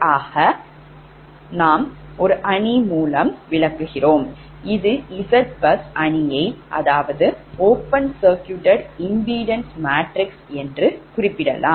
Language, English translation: Tamil, this is the z bus, z bus matrix, also referred to as the open circuit impedance matrix